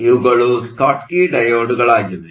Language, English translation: Kannada, These are Schottky diodes